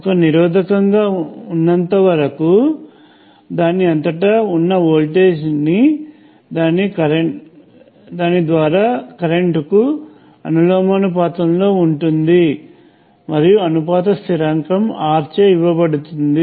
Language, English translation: Telugu, As long as it is a resistor, the voltage across it will be proportional to the current through it and the proportionality constant is given by R